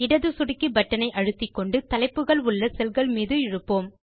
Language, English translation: Tamil, Now hold down the left mouse button and drag it along the cells containing the headings